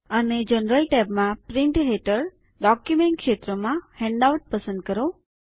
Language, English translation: Gujarati, And in the General tab, under Print, in the Document field, choose Handout